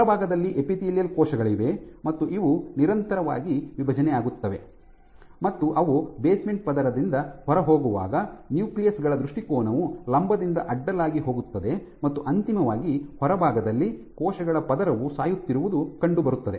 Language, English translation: Kannada, So, on outside you have your epithelial cells these continuously divide, and as they move out from the basement layer the orientation of the nuclei go from vertical to horizontal, and eventually at the outside layer these cells are dying